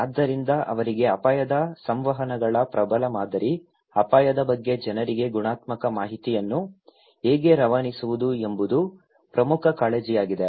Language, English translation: Kannada, So, for them the dominant model of risk communications for them, the major concern is how to pass qualitative informations to the people about risk